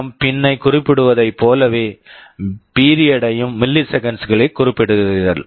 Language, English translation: Tamil, In the same way you specify a PWM pin, you specify the period in milliseconds